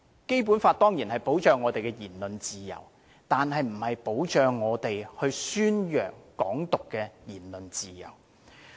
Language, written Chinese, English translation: Cantonese, 《基本法》當然保障我們的言論自由，但並不保障我們宣揚"港獨"的言論自由。, The Basic Law certainly protects our freedom of speech but it does not protect such freedom of propagating Hong Kong independence